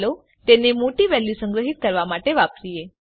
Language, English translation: Gujarati, Let us use it to store a large value